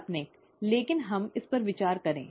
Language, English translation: Hindi, Fictitious, but let us consider this